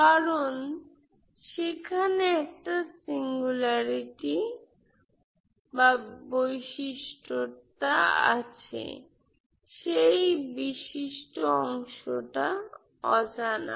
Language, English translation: Bengali, This has a singularity, this has a singularity